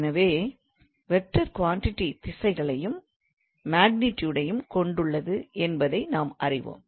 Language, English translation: Tamil, So I mean, we know that vector quantity they have directions as well as the magnitude